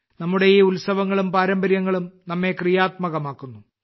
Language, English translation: Malayalam, These festivals and traditions of ours make us dynamic